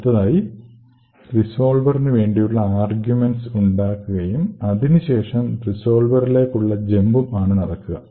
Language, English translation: Malayalam, So, then there is a push to create the arguments for the resolver and then there is a jump to the resolver